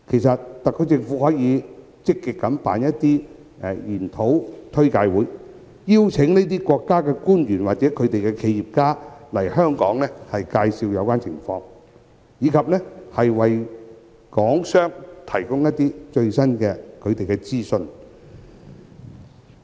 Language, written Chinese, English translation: Cantonese, 特區政府可以積極舉辦研討簡介會，邀請這些國家的官員或企業家來港介紹有關情況，以及為港商提供最新資訊。, The SAR Government can take the initiative to organize seminars and briefings and invite officials or entrepreneurs of those countries to come to Hong Kong and introduce their relevant conditions and provide the latest information to Hong Kong businessmen